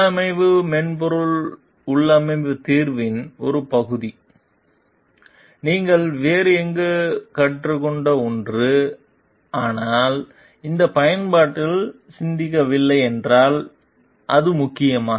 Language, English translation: Tamil, Does it matter if part of the configuration software configuration solution is something you learned about elsewhere, but had not thought about in this application